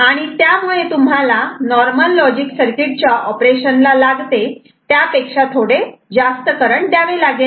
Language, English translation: Marathi, So, you need to send little bit of more current than normal logic circuit operations ok